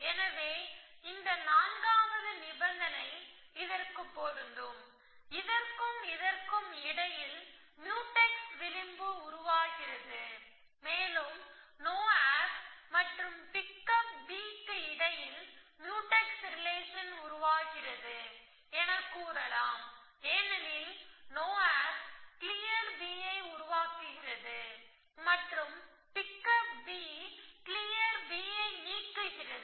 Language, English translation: Tamil, So, this fourth case applies to this and we mark Mutex edge between this and this we can also say it that this no op is Mutex would pick up b because it no op is producing clear b and this pick up b is deleting clear b